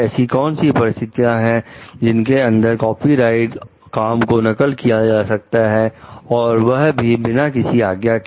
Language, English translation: Hindi, Under what if any circumstances is it fair to copy a copyrighted work without explicit permission